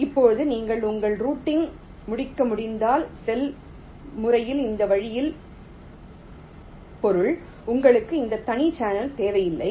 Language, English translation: Tamil, now, if you can complete your routing means in this way, over the cell manner, then you do not need this separate channel at all